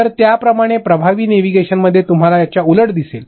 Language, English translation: Marathi, So, similarly in the effective, you will see the opposite of this